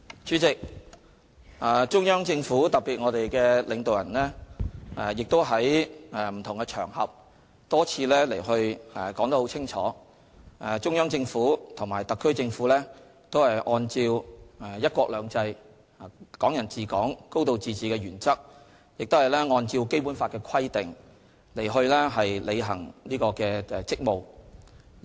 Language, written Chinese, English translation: Cantonese, 主席，中央政府特別是領導人在不同場合多次清楚表示，中央政府和特區政府均按照"一國兩制"，"港人治港"，"高度自治"的原則，亦按照《基本法》的規定履行職務。, President it has been clearly and repeatedly stated by the Central Government especially its leaders that the Central Government and the SAR Government all discharge their respective duties based on one country two systems Hong Kong people administering Hong Kong a high degree of autonomy and the provisions of the Basic Law